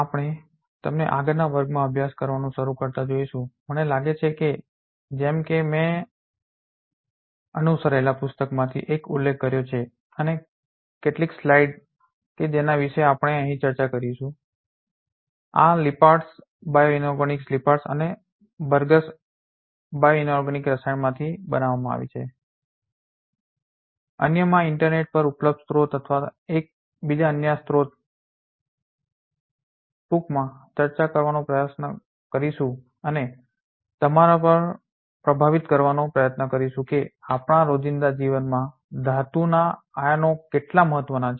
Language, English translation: Gujarati, We will see you in the next class start studying I think as I mentioned the one of the book that you can follow and some of the slides which we will be discussing over here are made from these Lippards bioinorganic Lippards and Bergs bioinorganic chemistry and in other sources available in the internet or different other sources overall, we will try to discuss briefly and try to impress upon you that how important the metal ions are in our daily life